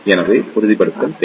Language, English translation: Tamil, So, there is a need of stabilization